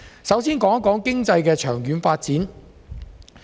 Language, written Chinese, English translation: Cantonese, 首先談談經濟的長遠發展。, I will start with long - term economic development